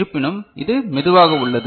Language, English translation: Tamil, However, it is slower